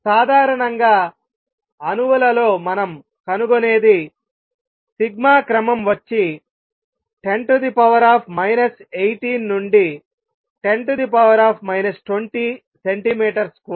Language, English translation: Telugu, What we find usually in atoms sigma is of the order of 10 raise to minus 18 to 10 raise to minus 20 centimeter square